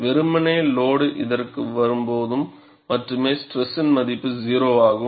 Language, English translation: Tamil, Ideally, only when the load point comes to this, the value of stress is 0